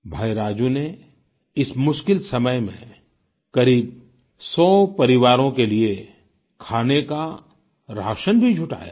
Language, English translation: Hindi, In these difficult times, Brother Raju has arranged for feeding of around a hundred families